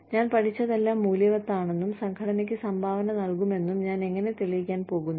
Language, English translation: Malayalam, How I am going to prove that, whatever I have learnt, has been worthwhile, and will contribute to the organization